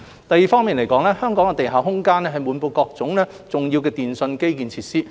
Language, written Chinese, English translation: Cantonese, 第二，香港的地下空間滿布重要電訊基建設施。, Second in Hong Kong underground spaces are packed with various important telecommunications infrastructure facilities